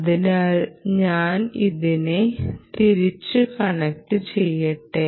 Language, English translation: Malayalam, so let me connect back